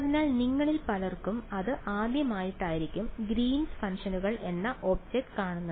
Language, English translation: Malayalam, So, to many of you it will be the first time that you are encountering this object called Greens functions ok